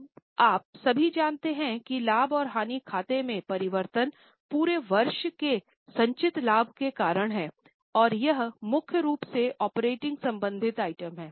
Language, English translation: Hindi, Now you all know that the change in the profit and loss account is due to the profit accumulated during the year and it is mainly the operating related item